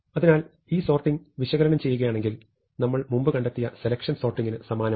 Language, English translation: Malayalam, So, if you look at the analysis, it is quite similar to selection sort that we saw before